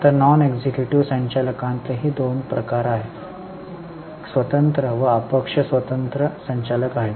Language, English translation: Marathi, Now within non executive directors also there are two types independent and non independent directors